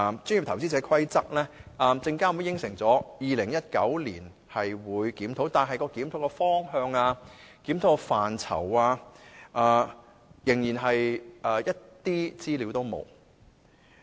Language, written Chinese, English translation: Cantonese, 至於檢討這《規則》的工作，證監會雖然承諾於2019年進行檢討，但檢討的方向、檢討的範疇，資料仍然欠奉。, Speaking of the issue of reviewing the PI Rules I must say that though SFC has undertaken to do so in 2019 it has not yet given us any information about the direction and scope of the review